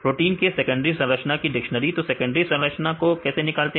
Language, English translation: Hindi, Dictionary of secondary structure of proteins and how they derive these secondary structure